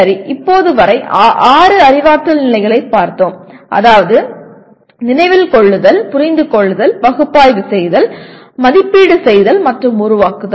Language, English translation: Tamil, Okay, till now we have looked at the six cognitive levels namely Remember, Understand, Analyze, Evaluate and Create